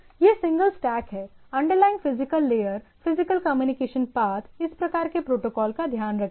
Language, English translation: Hindi, So, that single stack, that means, underlying physical layer, physical communication path is there which takes care by these type of protocol